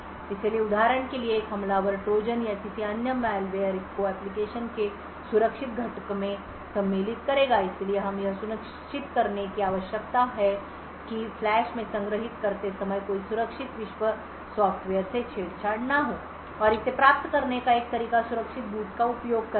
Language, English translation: Hindi, So, for example an attacker would insert Trojan’s or any other malware in the secure component of the application thus we need to ensure that no secure world software gets tampered with while storing in the flash and one way to achieve this is by using secure boot